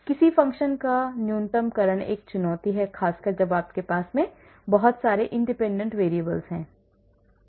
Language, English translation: Hindi, Minimization of a function is a challenge especially when you have a lot of independent variables